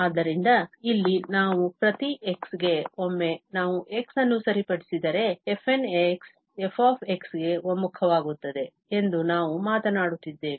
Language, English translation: Kannada, So, here, we are at least talking that for each x, fn will converge to f, once we fix x